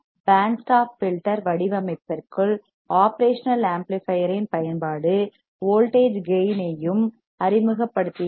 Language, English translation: Tamil, The use of operational amplifier within the band stop filter design, also allows us to introduce voltage gain right